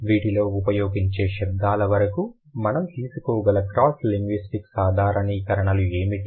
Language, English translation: Telugu, I'll talk about the cross linguistic generalizations about the sounds that language use